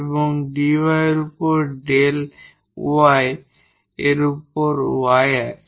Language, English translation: Bengali, So, what is del M over del y here